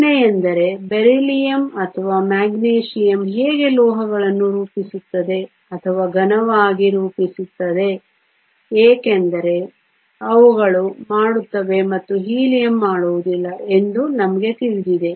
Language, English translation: Kannada, The question is how will Beryllium or Magnesium form metals or form solid because we know they do and Helium does not